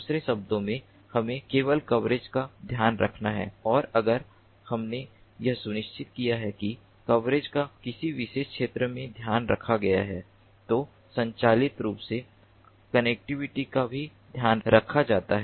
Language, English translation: Hindi, in other words, we simply have to take care of coverage and if we have ensured that coverage has been taken care of in a particular area, then automatically connectivity is also taken care of